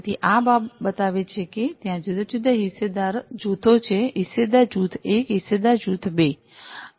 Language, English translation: Gujarati, So, this shows that there are different stakeholder groups stakeholder group 1, stakeholder group 2